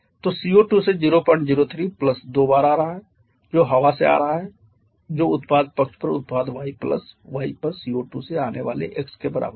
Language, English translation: Hindi, 03 coming from CO2 + twice a coming from the air that is equal to twice x coming from CO2 on the product side plus y on the product side